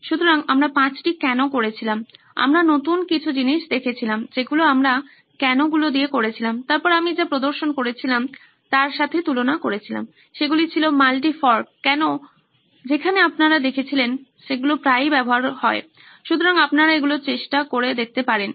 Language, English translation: Bengali, So we did the five whys, we saw new things that we did with the whys the n compared to what I had demonstrated, that was the multi forked whys that you saw, that is often used also, so you could try that as well